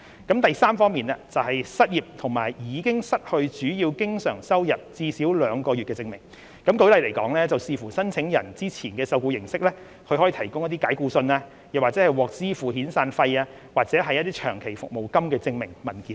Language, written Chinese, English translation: Cantonese, 第三，是失業和已經失去主要經常收入最少兩個月的證明，舉例來說，視乎申請人之前的受僱形式，他可以提供解僱信、獲支付遣散費，或是長期服務金的證明文件等。, Thirdly it is the proof of unemployment and loss of the main source of recurrent income for at least two months . For example depending on the nature of the applicants previous employment documentary proof such as dismissal letter payment of severance payment or long service payment etc . can be provided